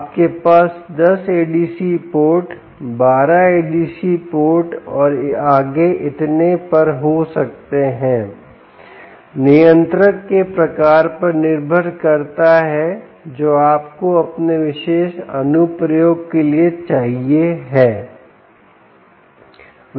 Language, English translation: Hindi, you can have eight adc ports, you can have ten adc ports, twelve adc ports, and so on and so forth, depending on the type of controller that you need for your particular application